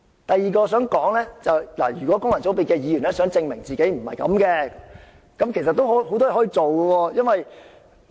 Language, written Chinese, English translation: Cantonese, 第二點，如果功能界別的議員想證明自己並非如此，其實也有很多事情可以做到。, Second functional constituency Members can do many things to prove that they are not like what I have said